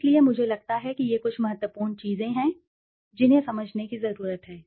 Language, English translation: Hindi, So, I think these are some of the important things that one needs to understand